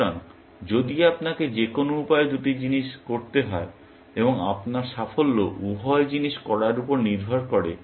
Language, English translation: Bengali, So, if you have to do two things any way, and your success depends on doing both the things